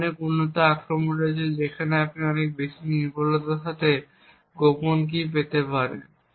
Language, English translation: Bengali, There are much more advanced attack where you can get the secret key with much more accuracy